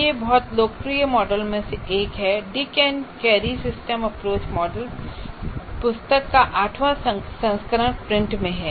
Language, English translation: Hindi, And the eighth edition of that book, like Dick and Carey Systems Approach model, is in print